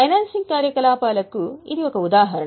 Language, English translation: Telugu, This is an example of financing activity